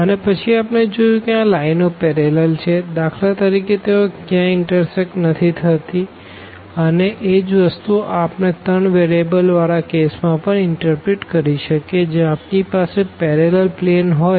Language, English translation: Gujarati, And then we have also seen that if the lines are parallel for example, that they never intersect and the same thing we can interpret in case of the 3 variables also that we have the parallel planes